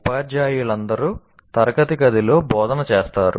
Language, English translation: Telugu, All teachers do instruction in the classroom